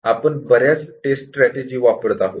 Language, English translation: Marathi, So, we will have many tests strategies